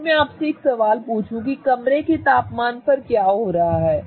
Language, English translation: Hindi, If I ask you a question that at room temperature what is happening